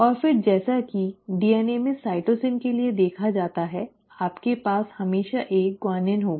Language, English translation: Hindi, And then again as seen in DNA for cytosine you will always have a guanine